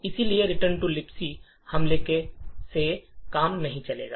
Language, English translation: Hindi, Therefore, it the return to libc attack would not work